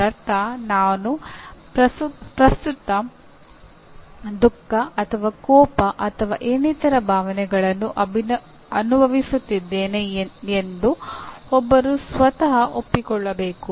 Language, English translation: Kannada, That means one has to acknowledge to himself or herself that I am presently feeling sad or angry or some other emotion